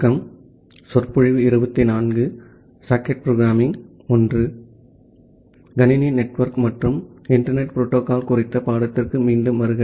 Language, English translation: Tamil, Welcome back to the course on computer network and internet protocol